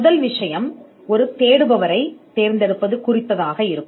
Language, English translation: Tamil, The first thing will be in selecting a searcher